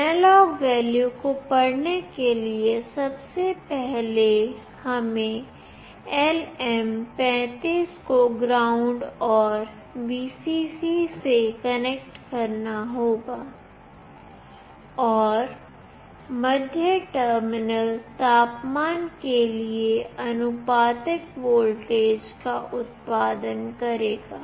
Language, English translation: Hindi, For reading the analog value, firstly we need to connect LM35 to ground and Vcc, and the middle terminal will produce a voltage proportional to the temperature